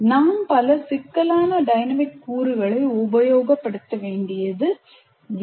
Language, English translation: Tamil, So you don't have to have used too much complex dynamic elements in that